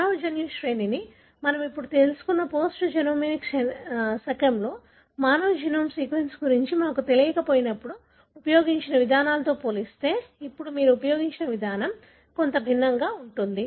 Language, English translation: Telugu, In the post genomic era, where we now know the human genome sequence, the approach now you use is somewhat different as compared to the approaches that were used in the, when we were not knowing the human genome sequence